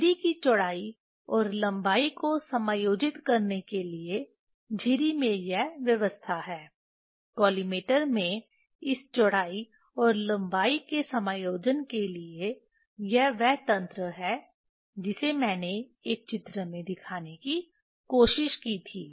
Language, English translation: Hindi, This is the arrangement in the in the slit to adjust the slit width and length in the collimator for adjustment of this width and length this is the mechanism that I tried to show in a drawing a picture